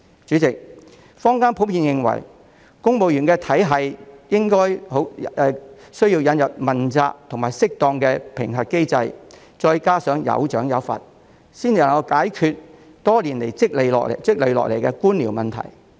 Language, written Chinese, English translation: Cantonese, 主席，坊間普遍認為，公務員體系亦需引入問責及適當的評核機制，加上有賞有罰，才能解決多年來積累下來的官僚問題。, President it is generally believed in the community that a mechanism for accountability and appropriate appraisal together with rewards and penalties should be introduced into the civil service system in order to solve the bureaucratic problems that have accumulated over the years